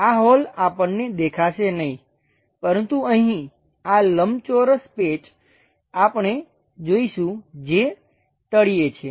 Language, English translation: Gujarati, These holes we do not see; but here this rectangular patch, we will see which is at bottom